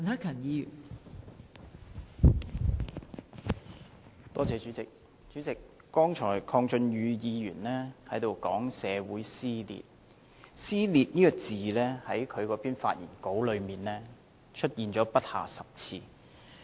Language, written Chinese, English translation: Cantonese, 代理主席，剛才鄺俊宇議員提到社會撕裂，"撕裂"這個詞在他的發言中出現了不下10次。, Deputy President just now Mr KWONG Chun - yu mentioned social division . The word division has appeared no less than 10 times in his speech